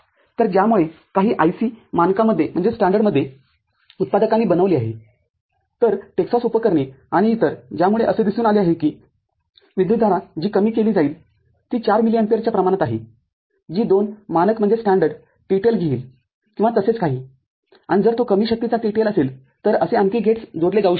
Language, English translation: Marathi, So, by which in some standard IC, is made by manufacturers so, Texas Instruments and others, so, it has been seen that the current that can be sunk is of the order of 4 milli ampere which can take 2 standard TTL or so and if it is a low powered TTL more such gates can be connected